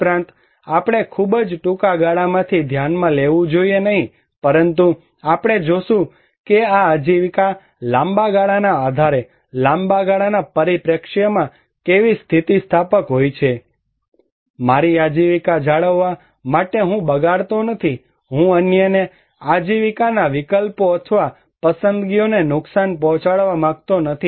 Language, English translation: Gujarati, Also, we should not consider from very short term, but we would see that how resilient this livelihood in long term basis, long term perspective and not undermine that in order to maintain my own livelihood I am not wasting, I am not harming others livelihood options or choices